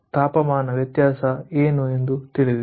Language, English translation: Kannada, so what is the difference of temperature